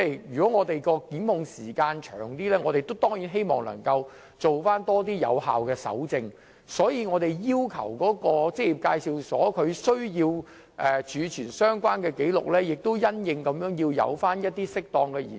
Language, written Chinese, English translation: Cantonese, 如果檢控時限較長，我們當然希望能進行更多有效的搜證工作，所以我們要求職業介紹所須備存相關紀錄的時限亦要因應需要而作出適當的延長。, With a longer time limit for prosecution we certainly hope that more can be done in terms of effective evidence collection . For this reason we require that the record keeping period imposed on employment agencies be extended as appropriate and necessary